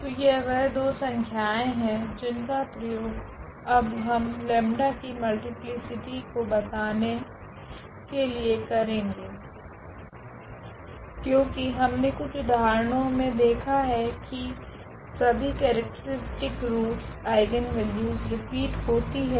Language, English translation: Hindi, So, these are the two numbers which we will now use for telling about the multiplicity of this lambda, because we have seen in several examples the characteristic, roots all the eigenvalues were repeated